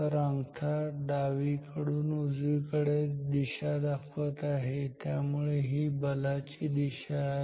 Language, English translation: Marathi, So, the thumb is pointing you see from left to right, so this is the direction of the force